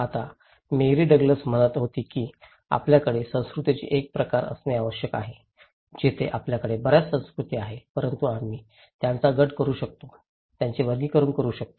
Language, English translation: Marathi, Now, Mary Douglas was saying that we need to have a kind of categories of cultures, there we have many cultures but we can group them, categorize them